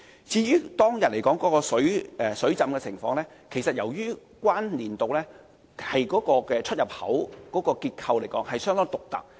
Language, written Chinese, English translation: Cantonese, 至於當天的水浸情況，其實是由於海怡半島站出入口的結構相當獨特。, The flooding that day on the other hand was actually caused by the very special structure of the EntranceExit of South Horizons Station